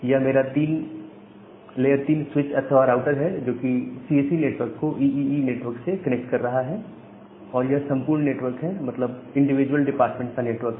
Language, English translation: Hindi, So, this is my layer 3 switch or the router which is connecting the CSE network with the EEE network and this entire network that means, the individual departmental network